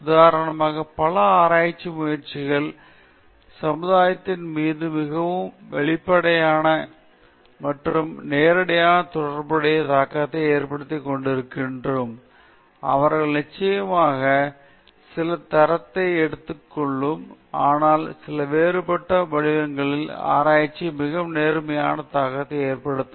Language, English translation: Tamil, Say, for instance, many research endeavors may not have a very explicit and direct positive impact upon the society; they might definitely have some impact, but certain other forms research will have a very direct positive impact